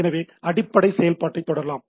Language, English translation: Tamil, So, again to continue with the basic operation